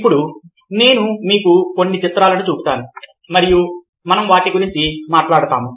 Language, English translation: Telugu, now i will be showing you some measures and, ah, we will be talking about them